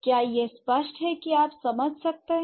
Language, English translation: Hindi, So is it clear, could you understand